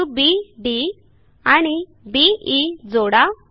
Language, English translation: Marathi, Join points B, D and B , E